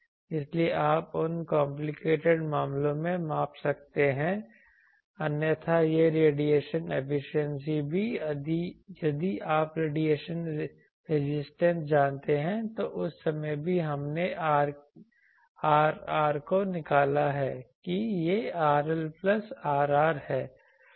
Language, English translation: Hindi, So, there you can measure in those complicated cases otherwise these radiation efficiency also, if you know the radiation resistance then that time also we have derived this R r that this R L plus R r